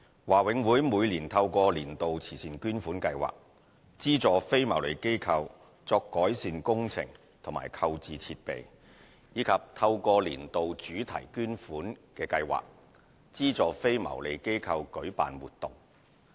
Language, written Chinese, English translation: Cantonese, 華永會每年透過"年度慈善捐款"計劃，資助非牟利機構作改善工程及購置設備，以及透過"年度主題捐款"計劃，資助非牟利機構舉辦活動。, Every year BMCPC supports non - profit - making organizations to carry out improvement works and procure equipment through the Annual Donation Scheme and to launch activities through the Annual Thematic Donation Scheme